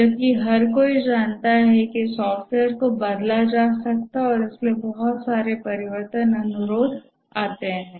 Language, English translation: Hindi, Whereas everybody knows that software can be changed and therefore lot of change requests come